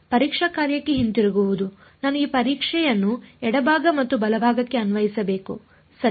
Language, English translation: Kannada, Getting back to the testing function, I have to take the apply this testing to both the left hand side and the right hand side right